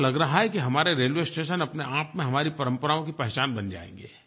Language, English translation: Hindi, It seems that our railway stations in themselves will become the identity of our tradition